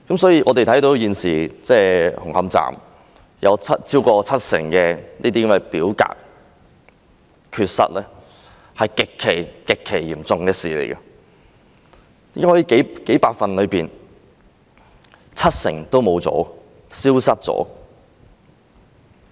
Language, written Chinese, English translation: Cantonese, 所以，現時紅磡站有超過七成的表格缺失是極其嚴重的事，怎可能數百份的文件中有七成都消失了？, Therefore the missing of over 70 % of the forms relating to Hung Hom Station is extremely serious . How can it be possible that 70 % of the several hundred documents have gone missing?